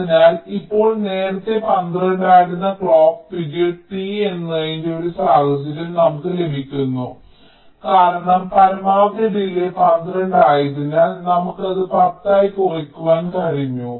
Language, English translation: Malayalam, we get a scenario that the clock period t, which was earlier twelve, because the maximum delay was twelve, we have been able to bring it down to ten